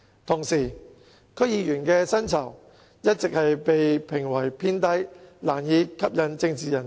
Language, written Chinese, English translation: Cantonese, 同時，區議員的薪酬一直被批評為偏低，難以吸引政治人才。, On the other hand the remuneration of DC members has all along been faulted for being rather low and failing to attract political talents